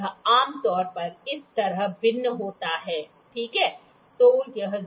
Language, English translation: Hindi, It generally it varies like this, ok